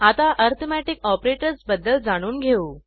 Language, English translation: Marathi, Now, let us learn about Relational Operators